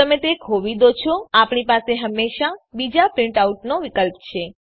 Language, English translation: Gujarati, If you lose it, we can always another print out